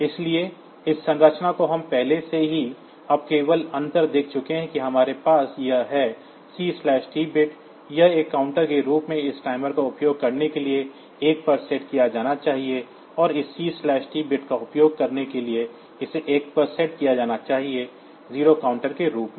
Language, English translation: Hindi, So, this structure we have already seen now the only difference that we have is this, C/T bit it should be set to 1 for using this timer as a counter and this this C/T bit should be set to 1 for using this timer 0 as a counter